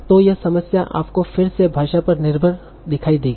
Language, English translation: Hindi, So this problem you will see is again language dependent